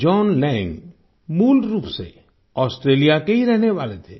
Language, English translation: Hindi, John Lang was originally a resident of Australia